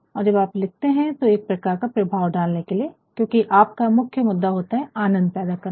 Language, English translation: Hindi, And, sometimes when you are writing you are also in order to create a sort of effect, because your main concern is to create pleasure